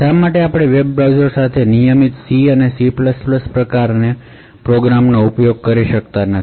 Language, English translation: Gujarati, Why cannot we actually use regular C and C++ type of programs with web browsers